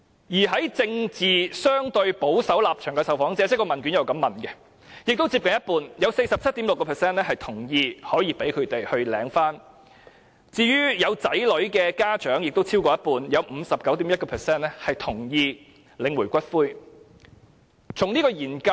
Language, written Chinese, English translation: Cantonese, 另外，在政治立場相對保守的受訪者當中，也有接近一半同意讓他們領取伴侶的骨灰；有子女的家長當中亦有超過一半同意他們可領取伴侶的骨灰。, Moreover among respondents with comparatively conservative political stances close to half 47.6 % agreed to their right to claim the ashes; over half 59.1 % of parents with children also agreed to their right to claim the ashes